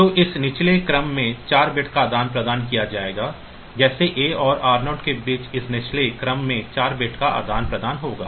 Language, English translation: Hindi, So, this lower order 4 bits will be exchanged, like between a and r 0 this lower order 3 4 bits will get exchanged ok